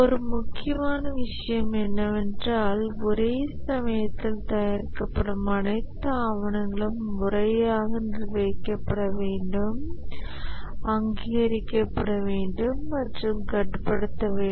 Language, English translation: Tamil, One of the major requirements is that all documents that are produced during developed must be properly managed, authorized and control